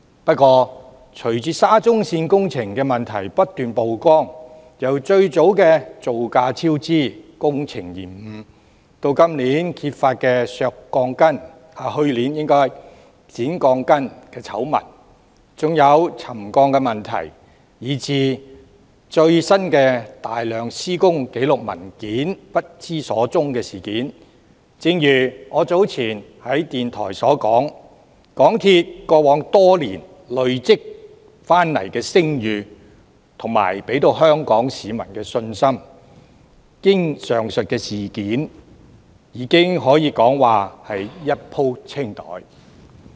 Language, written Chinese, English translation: Cantonese, 不過，隨着沙中線工程問題不斷曝光，由最早的造價超支、工程延誤，到去年揭發的削鋼筋醜聞、沉降問題，以至最新大量施工紀錄文件不知所終的事件，正如我早前在電台所說，港鐵公司在過往多年累積的聲譽和香港市民對它的信心，經歷上述事件後可謂已一鋪清袋。, However subsequent to the continual exposure of problems of the SCL project ranging from the initial cost overrun and delay in works then the scandal about the cutting of rebars and the resettlement issue exposed last year to the latest incident of disappearance of a large number of construction records as I have said earlier in a radio programme the reputation built up by MTRCL over the years and the confidence of the people of Hong Kong in it have vanished completely after the said events